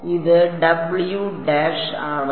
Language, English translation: Malayalam, This is W dash